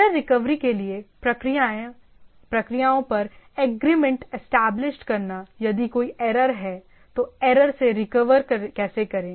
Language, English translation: Hindi, Establishing agreement on procedures for error recovery if there is a error how to recover from the reporting recovery from the error